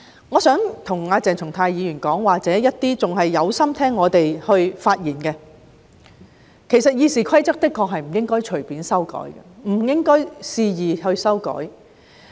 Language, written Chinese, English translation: Cantonese, 我想跟鄭松泰議員或仍然有心聆聽我們發言的人說句，《議事規則》的確不應該隨便或肆意修改。, I wish to say something to Dr CHENG Chung - tai or those who are still willing to heed our speeches . Honestly the Rules of Procedure should not be amended casually or arbitrarily